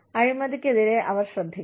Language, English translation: Malayalam, They need to take care of corruption